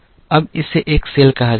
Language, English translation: Hindi, Now, this is called a cell